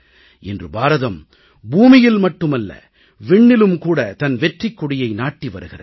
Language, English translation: Tamil, Today, India's flag is flying high not only on earth but also in space